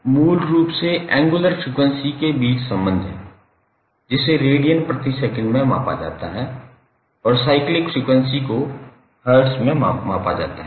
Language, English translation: Hindi, So, this is basically the relationship between angular frequency that is measured in radiance per second and your cyclic frequency that is measured in hertz